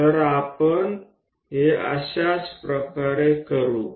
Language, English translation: Gujarati, So, we will do it in this same way